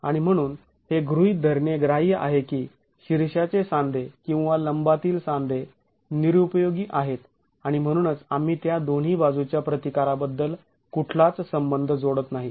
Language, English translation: Marathi, And so it is an acceptable assumption to assume that the head joints or the perpen joints are ineffective and that's why we are not attributing any of the resistance to those two sides